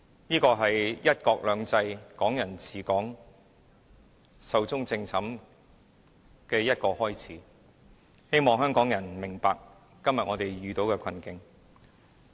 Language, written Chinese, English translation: Cantonese, 這是"一國兩制"、"港人治港"壽終正寢的開始，希望香港人明白我們今天遇到的困境。, This will be the beginning of the end of the principles of one country two systems and Hong Kong people administering Hong Kong . I hope Hong Kong people will understand the plight we are facing today